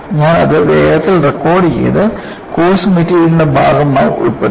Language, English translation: Malayalam, And, I quickly got that recorded and included as part of the course material